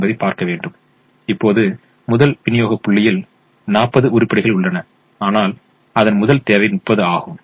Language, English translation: Tamil, now, the first supply point has forty items available and the first demand requirement is thirty